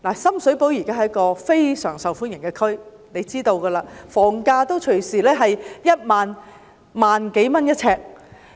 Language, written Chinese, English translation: Cantonese, 深水埗現時是非常受歡迎的地區，大家知道，房價動輒也要每平方呎1萬多元。, Sham Shui Po is quite a popular place right now we all know that the flats often cost more than 10,000 per square feet